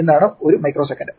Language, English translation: Malayalam, last step: micro seconds